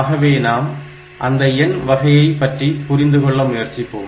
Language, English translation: Tamil, So, to start with we will look into the number systems